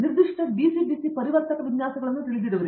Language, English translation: Kannada, You know applications specific DC DC converter designs